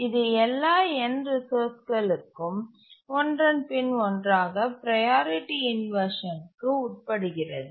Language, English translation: Tamil, So, for all the end resources, it undergoes priority inversion one after the other